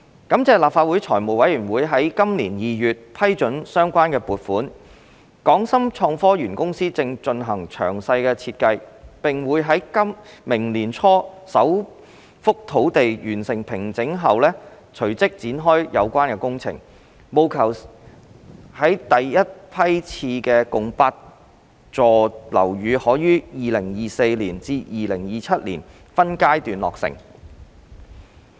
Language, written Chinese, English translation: Cantonese, 感謝立法會財務委員會於今年2月批准相關撥款，港深創科園公司正進行詳細設計，並會在明年年初首幅土地完成平整後隨即展開有關工程，務求使第一批次共8座樓宇可於2024年至2027年間分階段落成。, Thanks to the funding approval by the Finance Committee of the Legislative Council in February this year the HSITP Company has started working on the detailed design and will commence the relevant construction works as soon as the first site is formed early next year with a view to completing the first batch of eight buildings in phases between 2024 and 2027